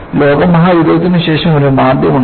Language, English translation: Malayalam, And, after the world war, there was also depression